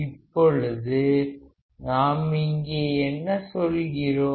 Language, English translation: Tamil, Now what we are saying here